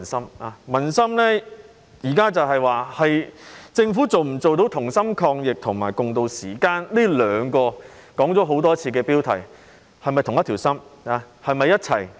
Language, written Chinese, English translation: Cantonese, 現在民心所想的是，政府能否做到"同心抗疫"及"共渡時艱"，這兩個標題已說了很多次。, The public is now thinking whether the Government can fight the epidemic together and ride out this difficult time with them . These two slogans have been mentioned numerous times